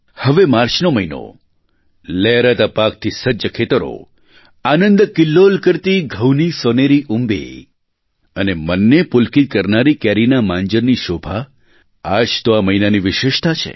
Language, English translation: Gujarati, And now the month of March beckons us with ripe crops in the fields, playful golden earrings of wheat and the captivating blossom of mango pleasing to the mind are the highlights of this month